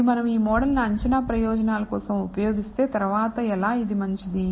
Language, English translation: Telugu, And if we use this model for prediction purposes subsequently how good it is